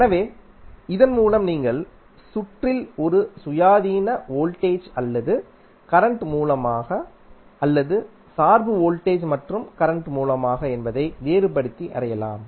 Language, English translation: Tamil, So, with this you can differentiate whether in the circuit there is a independent voltage or current source or a dependent voltage and current source